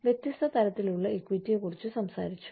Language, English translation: Malayalam, So, we talked about, different kinds of equity